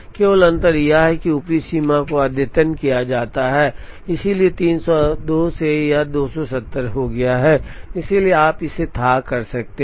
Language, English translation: Hindi, Only difference is that, the upper bound has been updated, so from 302, it has become 270, therefore you can fathom this